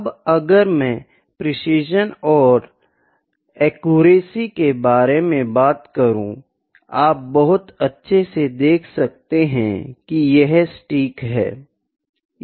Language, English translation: Hindi, Now, if I talk about precision and accuracy, you can very all determine or very well look into this based upon that, this is accurate